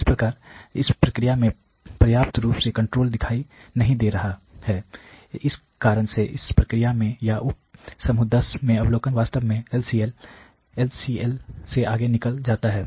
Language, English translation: Hindi, So, in way the range is not showing control adequately whereas in the process or in the sub group 10 the observation really goes beyond the LCL